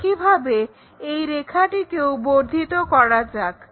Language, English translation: Bengali, So, let us extend that, similarly extend this line